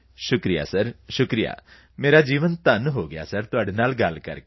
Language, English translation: Punjabi, Thank you sir, Thank you sir, my life feels blessed, talking to you